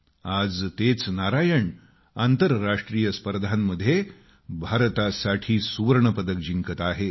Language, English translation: Marathi, The same Narayan is winning medals for India at International events